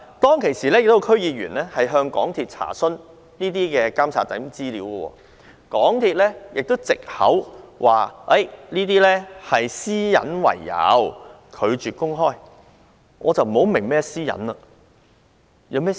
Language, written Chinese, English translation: Cantonese, 當時，亦有區議員向港鐵公司查詢監察資料，但港鐵公司卻以私隱為藉口，拒絕公開資料。, At that time a District Council DC member also made enquiries with MTRCL about the information on monitoring but the latter refused to disclose the information on grounds of privacy